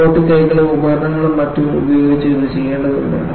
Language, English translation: Malayalam, It has to be done by robotic arms and tools and so on and so forth